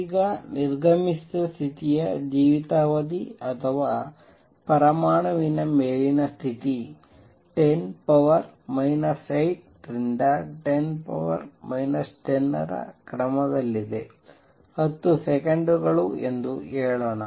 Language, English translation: Kannada, Now life time of an exited state or the upper state of an atom is of the order of 10 raise to minus 8 to 10 raise to minus let say 10 seconds